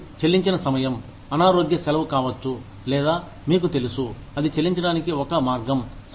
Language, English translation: Telugu, And, paid time off, could be sick leave, or could be, you know, that is one way of getting paid